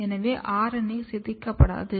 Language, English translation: Tamil, So, that our RNA is not degraded